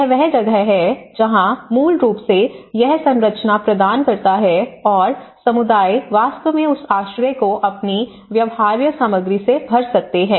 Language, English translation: Hindi, So, that is where so basically it provides the structure and the communities can actually fill that you know the shelter with their own feasible material